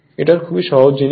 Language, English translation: Bengali, This is very simple thing